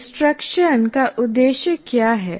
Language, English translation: Hindi, And what is the purpose of instruction